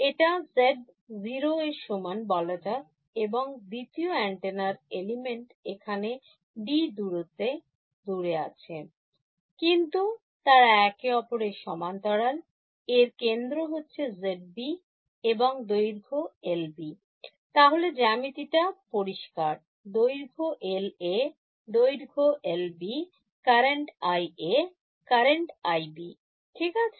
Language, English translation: Bengali, Let us call this z equal to 0 and second antenna element over here space apart by d, but its parallel to each other, this center is at Z B and the length is minus L B by 2 L B by 2 L A by 2 L A by 2 right, geometry is clear length L A length L B current is I A, current is I B ok